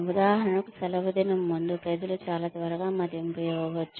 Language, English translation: Telugu, For example, just before the holiday season, people may give, very quick appraisals